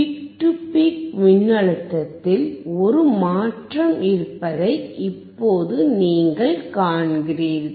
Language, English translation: Tamil, Now you see there is a change in the peak to peak voltage it is 4